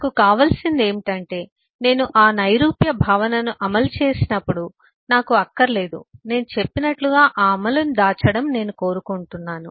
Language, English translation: Telugu, that is what I want is: I do not want, when I implement that abstract concept, I want to kind of, as I say, hide that implementation